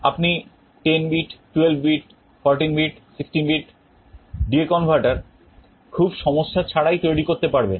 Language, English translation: Bengali, You can built a 10 bit, 12 bit, 16 bit, 32 bit D/A converter without any trouble